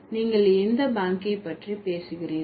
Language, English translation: Tamil, So, which bank are you talking about